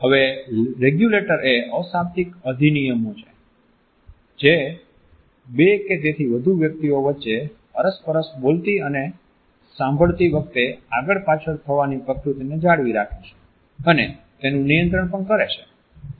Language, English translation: Gujarati, Now, regulators are nonverbal acts which maintain and regulate the back and forth nature of a speaking and listening between two or more interactants